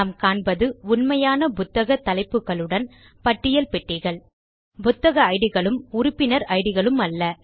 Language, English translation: Tamil, And, we are also seeing list boxes with real book titles and member names, instead of book Ids and member Ids